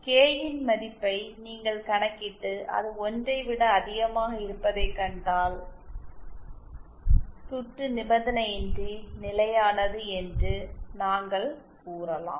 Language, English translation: Tamil, If you simply calculate the value of K and see that it is greater than 1 then we can say that the circuit is unconditionally stable